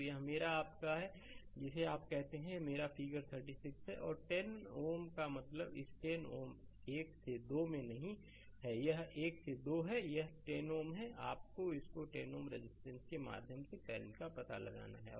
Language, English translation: Hindi, So, this is my your what you call this is my figure 36 and 10 ohm means in this 10 ohm right 1 to 2 not this one 1 to 2 right; this 10 ohm, you have to find out the current through this 10 ohm resistance